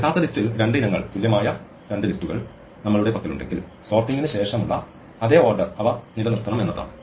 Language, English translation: Malayalam, What it amounts to saying is that if we have two list two items in the original list which are equal then they must retain the same order as they had after the sorting